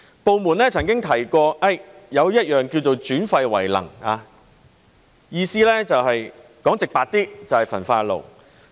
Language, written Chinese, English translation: Cantonese, 部門曾經提過"轉廢為能"，意思說得直白一點，就是焚化爐。, The Department has put forward the idea of waste - to - energy before and to put it plainly it is all about incinerators